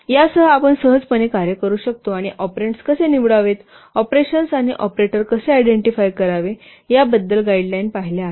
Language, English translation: Marathi, So with this we can easily and we have seen the guidelines how to select the operands, how to identify the operands and operators